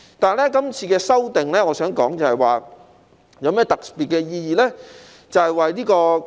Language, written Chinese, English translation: Cantonese, 但是，這次的修訂，我想說的是有何特別的意義呢？, However what is the special significance of this amendment exercise?